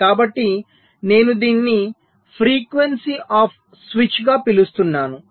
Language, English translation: Telugu, so i am calling it as the frequency of switch